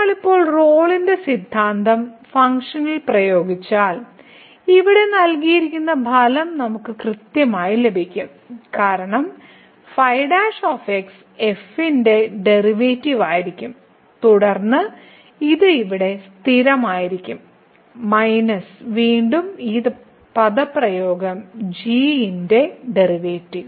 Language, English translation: Malayalam, So, if we apply the Rolle’s theorem now, to the function then we will get exactly the result which is given here because the will be the derivative of and then this is a constant here minus again this expression and the derivative of